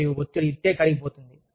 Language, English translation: Telugu, And, the stress, just melts away